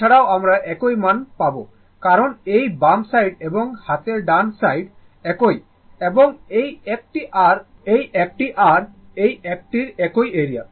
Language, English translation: Bengali, Also, you will get the same value because this side and this side left hand side and right hand side are the same this is and this is this one and this one this side area and this side area